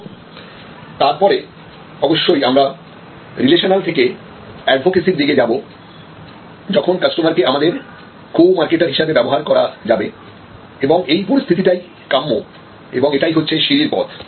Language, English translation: Bengali, And then of course, from relational we want to go to advocacy or customer as your co marketer and this is the desired state and this is the stairway